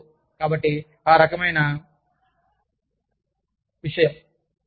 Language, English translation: Telugu, You know, so, that kind of thing